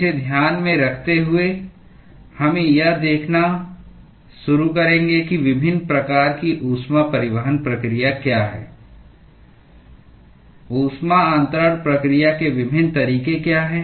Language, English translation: Hindi, With this in mind, we will start looking at what are the different types of heat transport process, what are the different modes of heat transfer process